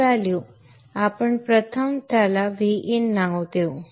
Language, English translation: Marathi, Let us first give it a name VIN